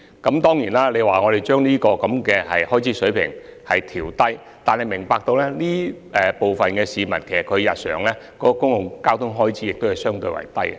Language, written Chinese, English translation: Cantonese, 議員要求當局把有關水平調低，但議員要明白，亦有部分市民的日常公共交通開支相對較低。, The Honourable Member requests the authorities to lower the relevant level . But the Honourable Member should realize that the daily public transport expenses of some people are relatively low